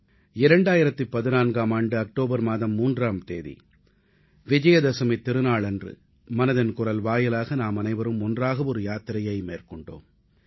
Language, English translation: Tamil, On the 3rd of October, 2014, the pious occasion of Vijayadashmi, we embarked upon a journey together through the medium of 'Mann Ki Baat'